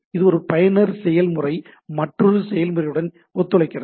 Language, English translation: Tamil, So, it is a so, user process cooperate with another process